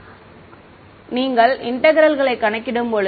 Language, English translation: Tamil, Yeah then when you calculate the integral